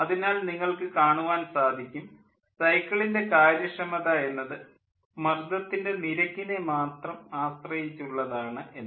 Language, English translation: Malayalam, so you can see the cycle efficiency is dependent only on pressure ratio